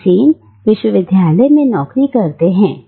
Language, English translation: Hindi, Now, Mr Sen has a job in a university